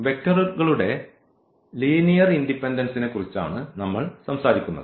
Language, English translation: Malayalam, So, what we have learnt today, it is about the linear independence of the vectors